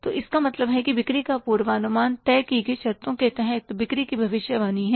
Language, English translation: Hindi, So, it means sales forecasting is a prediction of sales under a given set of conditions